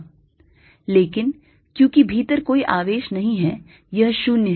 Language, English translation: Hindi, but since there's no charge inside, this fellow is zero